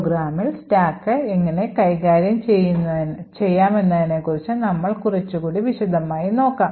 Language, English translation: Malayalam, Now we will look a little more in detail about how the stack is managed in the program